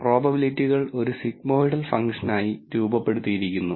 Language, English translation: Malayalam, The probabilities are also modeled as a sigmoidal function